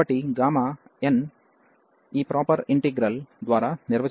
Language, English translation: Telugu, So, gamma n is defined by this improper integral